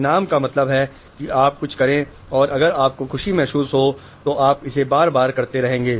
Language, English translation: Hindi, Reward center means if you do something and if you feel pleasure you will keep doing it again and again